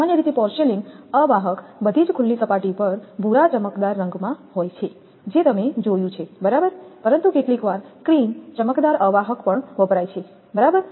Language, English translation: Gujarati, Porcelain insulators are usually glazed in brown color that also you have seen right, over all exposed surface that you have seen, but sometimes cream glazed insulators are also used right